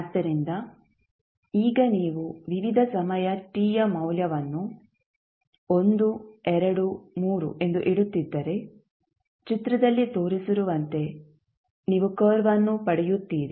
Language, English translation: Kannada, So, it is now if you keep on putting the value of various t that is time as 1, 2, 3 you will get the curve which would like as shown in the figure